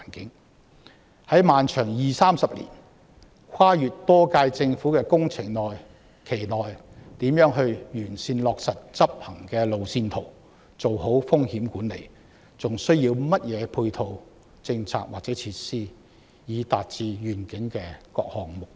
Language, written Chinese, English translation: Cantonese, 此外，在耗時二三十年、跨越多屆政府的漫長工程期內，在任政府亦應完善落實已制訂的執行路線圖，做好風險管理，並實行所需的配套政策或設施，以達致願景的各項目標。, Besides in the protracted construction period spanning 20 to 30 years and across several terms of Government the incumbent Government should properly take forward the implementation roadmap as formulated carry out proper risk management and implement the necessary ancillary policies or measures so as to achieve various goals of the Vision